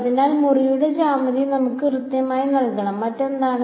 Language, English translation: Malayalam, So, the geometry of the room should be given to us right, what else